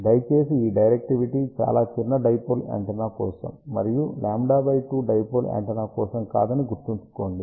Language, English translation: Telugu, Please remember this directivity is for very small dipole antenna and not for lambda by 2 dipole antenna